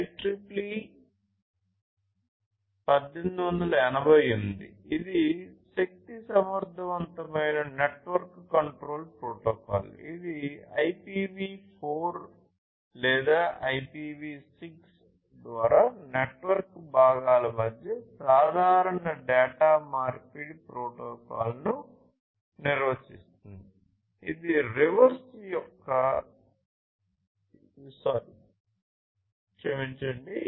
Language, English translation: Telugu, IEEE 1888 this one is an energy efficient network control protocol, which defines a generalized data exchange protocol between the network components over IPv4 or IPv6